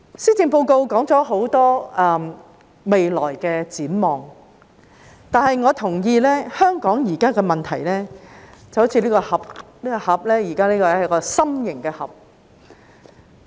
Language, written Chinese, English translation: Cantonese, 施政報告提到很多未來展望，但我同意，香港現在的問題就好像這個心形的盒子一樣。, The Policy Address has mentioned a lot of future prospects but I agree that Hong Kongs current problems are like this heart - shaped box